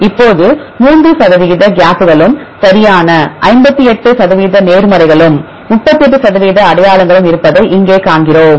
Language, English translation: Tamil, Now, we here see there are 3 percent gaps right and 58 percent positives and 38 percent identities